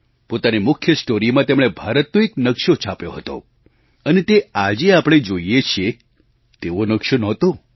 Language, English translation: Gujarati, In their lead story, they had depicted a map of India; it was nowhere close to what the map looks like now